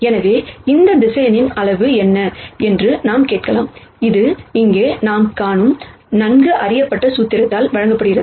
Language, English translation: Tamil, So, we might ask what is the magnitude of this vector and that is given by the wellknown formula that we see right here